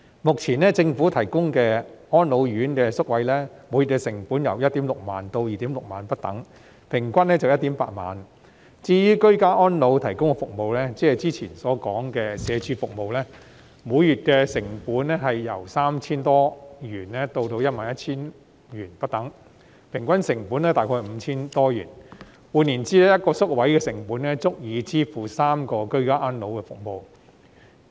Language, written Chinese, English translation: Cantonese, 目前政府提供的安老院舍宿位，每月成本由 16,000 元至 26,000 元不等，平均約為 18,000 元；至於居家安老服務，即之前所說社會福利署提供的服務，每月成本由約 3,000 多元至 11,000 元不等，平均成本約為 5,000 多元；換言之 ，1 個宿位的成本足以支付3項居家安老服務。, Currently the monthly cost of a government - run residential care place for the elderly ranges from 16,000 to 26,000 averaging around 18,000 . As for ageing - in - place services that is those provided by the Social Welfare Department mentioned before the monthly cost ranges from around 3,000 - odd to 11,000 averaging around 5,000 - odd . In other words the cost of one residential care place is sufficient to cover the expenses of three ageing - in - place services